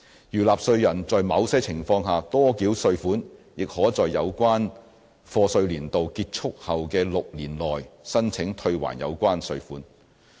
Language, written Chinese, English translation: Cantonese, 如納稅人在某些情況下多繳稅款，亦可在有關課稅年度結束後的6年內申請退還有關款項。, Likewise a taxpayer who has paid tax in excess of the amount payable under certain circumstances may apply for a refund within six years after the end of the relevant year of assessment